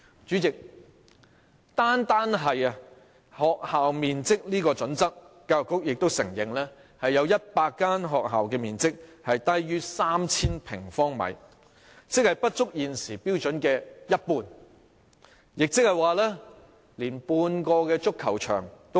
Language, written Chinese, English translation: Cantonese, 主席，單是學校面積這個準則，教育局也承認有100間學校的面積是低於 3,000 平方米，即不足現時標準的一半，也即少於半個足球場。, President regarding the criterion on the area of school premises alone the Education Bureau has acknowledged that the area of some 100 schools is less than 3 000 sq m which is less than 50 % of the area required and which is smaller than half a football pitch